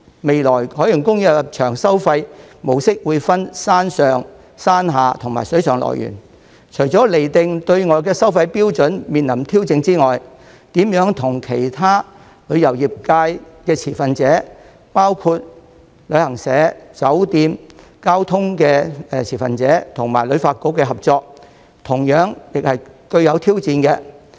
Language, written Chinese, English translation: Cantonese, 未來海洋公園的入場收費模式會分山上、山下及水上樂園，除了釐定對外收費標準面臨挑戰外，如何與其他旅遊業界的持份者，包括旅行社、酒店、交通持份者及香港旅遊發展局的合作，同樣是具有挑戰。, In the future OP will charge separately for admission to the upper park lower park and the Water World . Apart from the challenges to be faced in setting pricing standards it will be equally challenging as to how OP can work with other stakeholders in the tourism industry including travel agents hotels stakeholders in the transport sector and the Hong Kong Tourism Board